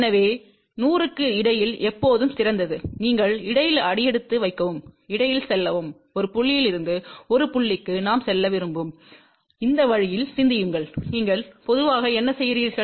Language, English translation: Tamil, So, it is always better from 100 you take step in between and you go between; think this way that we want to go from point a to point b, what do you generally do